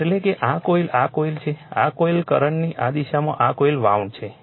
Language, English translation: Gujarati, That is why this coil is is this coil this coil this direction of the current this coil is wound